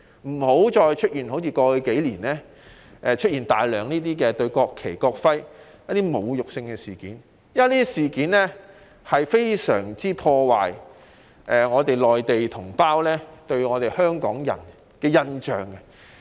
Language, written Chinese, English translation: Cantonese, 我們千萬要警惕，不能再出現過去數年大肆侮辱國旗、國徽的事件，因這些事件會大大破壞內地同胞對香港人的印象。, We must stay alert to prevent recurrence of past incidents witnessed over the last few years in which the national flag and national emblem were wantonly desecrated because such incidents will give our compatriots in the Mainland a very bad impression of Hong Kong people